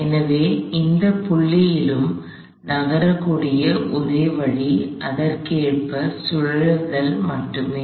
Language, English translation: Tamil, So, the only way this body can move at any point is if it rotates correspondingly